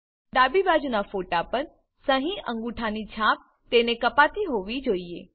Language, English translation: Gujarati, For the right side photo, the signature/thumb impression should be below it